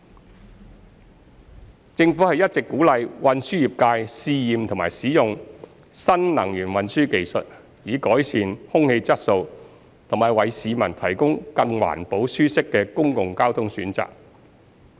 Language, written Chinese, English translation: Cantonese, 二政府一直鼓勵運輸業界試驗及使用新能源運輸技術，以改善空氣質素及為市民提供更環保舒適的公共交通選擇。, 2 The Government has been encouraging the transportation industry to test and use new energy transportation technologies to improve air quality and provide the public with more environmental - friendly and comfortable public transportation options